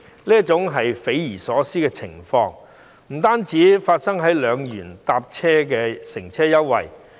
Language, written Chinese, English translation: Cantonese, 主席，這匪夷所思的情況，不單發生在2元乘車優惠計劃。, President this ridiculous situation does not only happen to the 2 Scheme